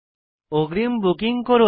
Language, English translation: Bengali, Please book in advance